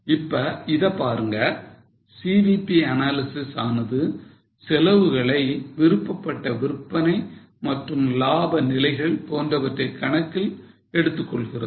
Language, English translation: Tamil, Now, CVP analysis takes a look at this like cost, desired level of sales, desired level of profit and so on